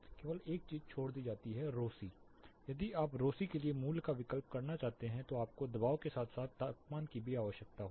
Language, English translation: Hindi, The only thing left is rho c if you want to substitute value for rho c you will need the pressure as well as temperature